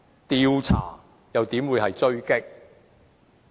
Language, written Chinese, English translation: Cantonese, 調查又怎會是狙擊？, How can an investigation be an ambush?